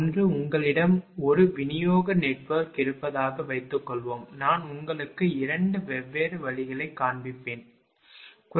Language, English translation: Tamil, One is that, suppose you have a distribution network I will show you the 2 different ways, right